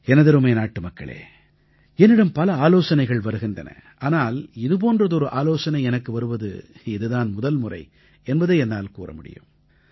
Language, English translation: Tamil, My dear countrymen, I receive a lot of suggestions, but it would be safe to say that this suggestion is unique